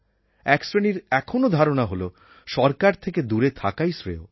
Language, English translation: Bengali, One generation still feels that it is best to keep away from the government